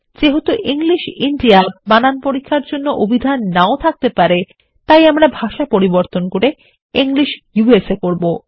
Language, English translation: Bengali, Since English India may not have the dictionary required by spell check, we will change the language to English USA